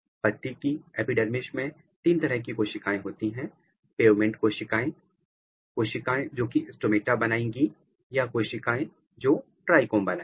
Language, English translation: Hindi, So, if you look the epidermis leaf epidermis there are three types of cells, pavement cells and the cells which are going to make stomata or the cells which are going to make trichome